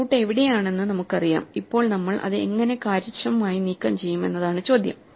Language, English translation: Malayalam, So, we know where the root is; now the question is how do we remove it efficiently